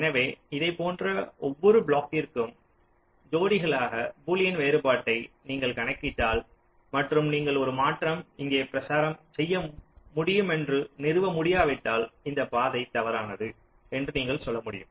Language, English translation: Tamil, so across every such blocks, pair wise, if you compute the boolean difference and if you cannot establish that a transition here can propagate, here you can say that this path is not false